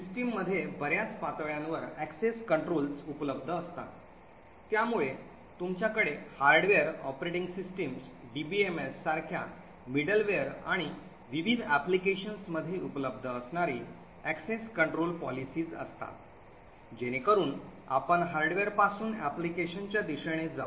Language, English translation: Marathi, So access controls are available in a number of levels in the system, so you have access control policies which are present at the hardware, operating system, middleware like DBMS and also in various applications, so as we go upwards from the hardware towards the application, the access control mechanisms become more and more complex